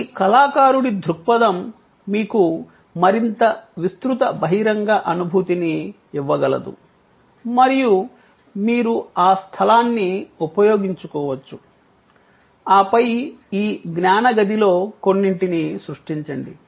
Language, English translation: Telugu, This is that artists view, which can therefore, be give you a much more wide open feeling and you could use that space, then create some of this knowledge kiosk so on